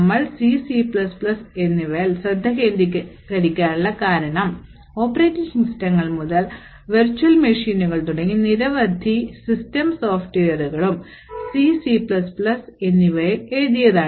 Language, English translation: Malayalam, So, why we focus on C and C++ is due to the fact that many systems software such as starting from operating systems to virtual machines and lot of the underlying libraries are written in C and C++